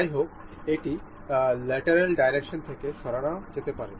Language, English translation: Bengali, However, it can move in lateral direction